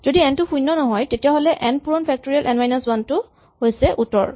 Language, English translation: Assamese, If n is not 0, then n times factorial n minus 1 is the answer